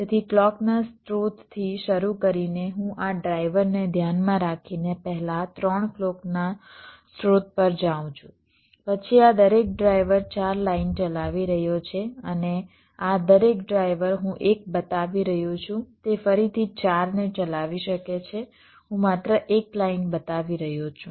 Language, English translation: Gujarati, so, starting from a clock source, i am first going to three clock source with respect to this driver, then the each of this driver is driving four lines, and each of this driver i am showing one it may be driving again four